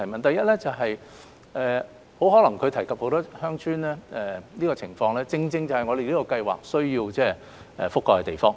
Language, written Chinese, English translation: Cantonese, 第一，她提到很多鄉村的情況，這些正是我們這項資助計劃希望能覆蓋的地方。, Firstly she mentioned the situation of many villages which are precisely the areas that we want to include into this Subsidy Scheme